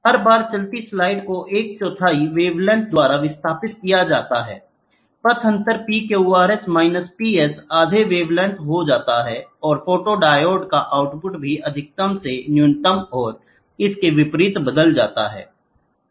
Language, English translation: Hindi, Each time the moving slide is displaced by a quarter wavelength, the path difference PQRS minus PS becomes half a wavelength and the output of the photodiode also changes from maximum to minimum and vice versa